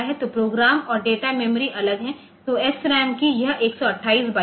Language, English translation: Hindi, So, program and data memories are separate then this 128 bytes of SRAM